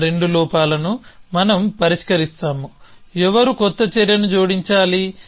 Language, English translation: Telugu, So, both of those flaws we are chosen to resolver who is to add the new action